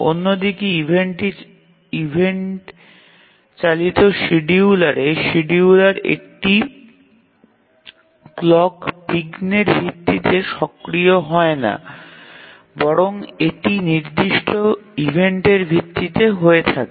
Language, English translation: Bengali, On the other hand in an event driven scheduler, the scheduler does not become active based on a clock interrupt but it is based on certain events